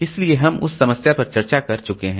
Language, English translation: Hindi, So that problem we have already discussed